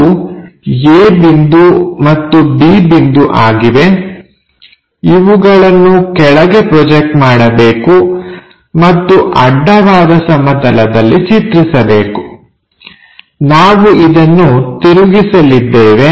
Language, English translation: Kannada, So, let us mark that one as a point and b has to be projected down and draw a horizontal plane, which we are going to rotate it